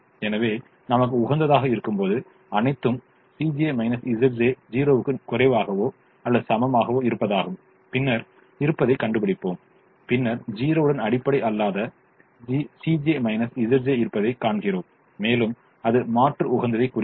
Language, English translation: Tamil, so when the optimum is reached, when all c j minus z j less than or equal to zero, i repeat, when all c j minus z j less than or equal to zero, and the optimum is reached and if still the non basic c j minus z j is zero, then it indicates alternate optimum